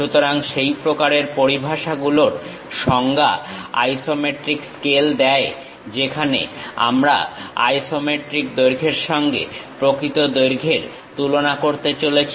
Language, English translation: Bengali, So, this one is true length and this is the isometric length So, isometric scale actually defines such kind of terminology, where we are going to compare isometric lengths with the true lengths